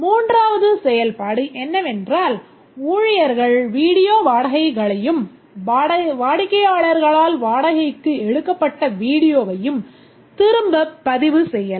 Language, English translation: Tamil, The third functionality is that the staff can record the video rentals and also the return of rented video by the customers